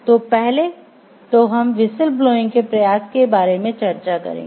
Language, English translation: Hindi, So, what we will discuss now when should with whistle blowing be attempted